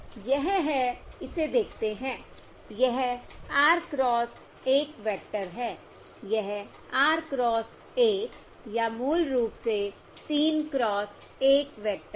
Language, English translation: Hindi, This is, observe this, this is an R cross 1 vector, this is R cross 1, or basically 3 cross 1 vector